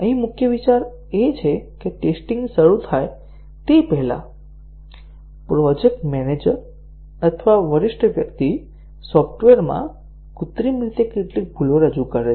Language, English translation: Gujarati, Here, the main idea is that before the testing starts, the project manager or a senior person introduces some bugs artificially into the software